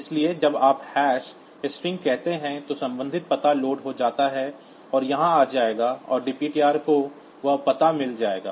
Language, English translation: Hindi, So, when you say hash string, the corresponding address gets loaded in corresponding address will be coming here and dptr will get that address